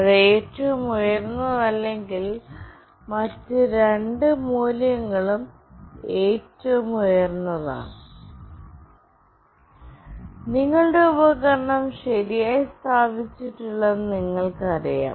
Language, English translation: Malayalam, And if it is not the highest, then the other two values are highest, then you know that your device is not properly placed